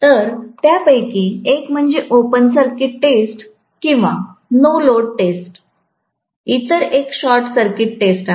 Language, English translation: Marathi, So, one of them is open circuit test or no load test, the other one is short circuit test